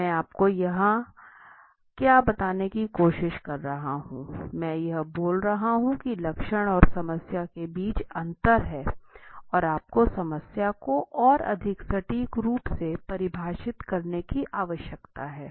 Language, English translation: Hindi, See what I am trying to tell you here is one way to understand there is the difference between the symptom and the problem and you need to define the problem more accurately right